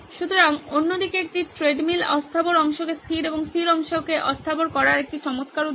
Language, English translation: Bengali, So this is an other way round A treadmill is an excellent example of making movable parts fixed and fixed part movable